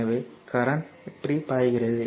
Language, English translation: Tamil, So, current is flowing like this right